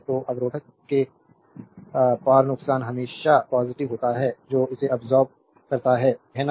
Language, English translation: Hindi, So, power loss across resistor is always positive it absorbed power, right